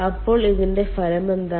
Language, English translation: Malayalam, so what is the effect of this